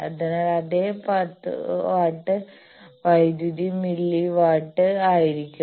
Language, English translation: Malayalam, So, the same 10 watt of power will be in milli watt